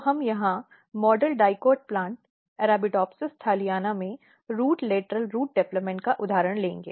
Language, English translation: Hindi, So, we will take here example of root lateral root development and mostly in model dicot plant Arabidopsis thaliana